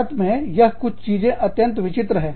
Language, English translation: Hindi, This is something, that is very unique to India